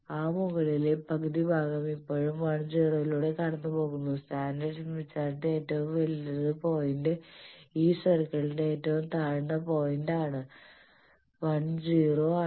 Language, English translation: Malayalam, And that upper half portion is still passing through the 1,0, the right most point of the standard smith chart and lowest point of this circle is 1,0